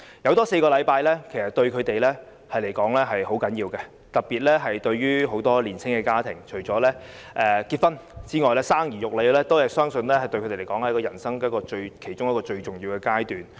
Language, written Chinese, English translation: Cantonese, 增加4個星期產假對她們來說十分重要，特別是年青家庭，除了結婚之外，生兒育女相信是人生其中一個重要階段。, The four additional weeks of maternity leave are very important to them . It is particularly the case for young couples . Having children I believe is one of the important stages in their lives apart from getting married